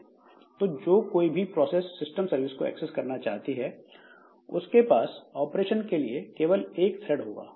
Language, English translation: Hindi, So, whichever process wants to get a system service, it will be using this particular thread for doing the operation